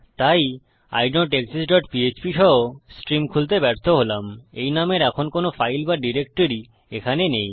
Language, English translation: Bengali, So include idontexist dot php failed to open stream no such file or directory in that name here